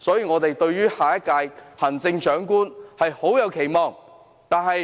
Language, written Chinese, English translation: Cantonese, 我們對下一屆行政長官有很多期望。, We have many expectations for the next Chief Executive